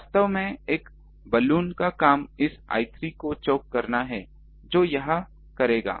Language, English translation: Hindi, Actually a Balun's job is to choke this I 3, that it will do